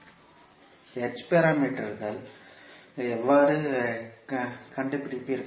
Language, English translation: Tamil, And then you can easily find out the h parameters